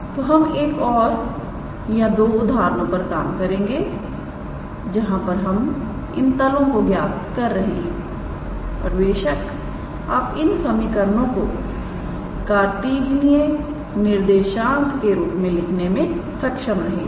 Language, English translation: Hindi, So, we will work out one or two examples where we calculate these planes and of course, you can be able to express these equations in terms of the Cartesian coordinate